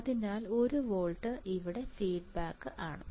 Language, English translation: Malayalam, So, 1 volt is feedback here